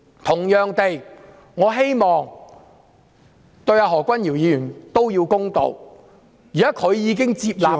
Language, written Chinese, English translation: Cantonese, 同樣地，我希望他們對何君堯議員都要公道，現時他已經願意接受調查......, It is not worth the trouble for all of them to stand up against it now . Likewise I hope that they will be fair to Dr Junius HO as well . He is now willing to receive an investigation